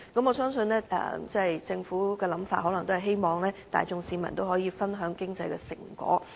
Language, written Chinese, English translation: Cantonese, 我相信政府的想法可能是希望市民大眾可以分享經濟成果。, I believe the Governments idea is probably to enable the masses to share the fruit of economic development